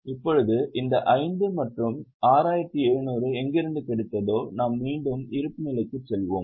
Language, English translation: Tamil, Now, from where we got this 5 and 6,700, we will go back to balance sheet